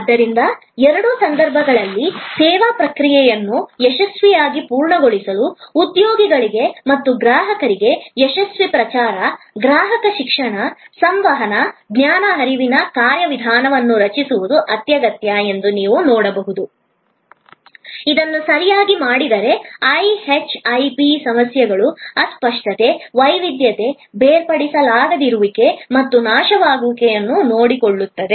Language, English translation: Kannada, So, in either case as you can see that for successful completion of service process, it is essential to create a successful promotion, customer education, communication, knowledge flow mechanism, for both employees and for customers, which if done correctly will take care of the so called IHIP problems, the intangibility, the heterogeneity, inseparability and perishability